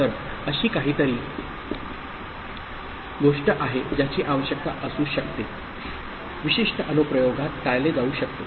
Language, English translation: Marathi, So, that is something which may be needed to be I mean, avoided in certain application